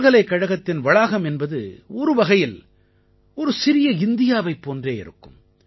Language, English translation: Tamil, University campuses in a way are like Mini India